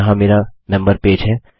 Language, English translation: Hindi, Theres my member page